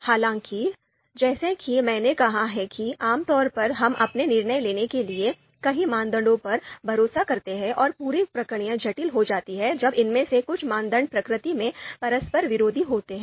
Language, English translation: Hindi, However, typically you know as I have said that typically we rely on you know on many criteria for our decision makings and you know the whole process becomes complex when some of these criteria are conflicting in nature